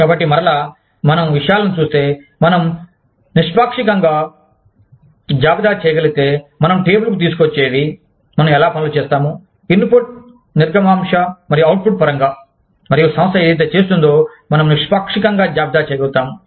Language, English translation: Telugu, So, and again, if we see things, if we are able to objectively list, what we bring to the table, how we do things, in terms of input, throughput, and output, and we are able to objectively list, whatever the organization is doing